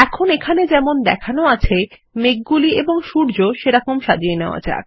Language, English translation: Bengali, Now lets arrange the clouds and the sun as shown here